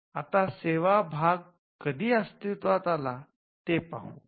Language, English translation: Marathi, Now, we will see when the services part came into being